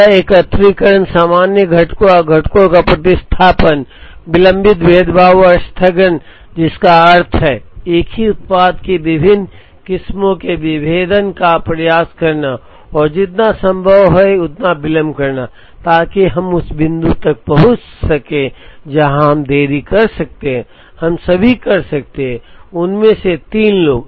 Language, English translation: Hindi, This aggregation, common components and substitution of components, delayed differentiation and postponement which means, to try and delay the differentiation of different varieties of the same product as much as possible so that, up to the point where we delay, we can do all the three of them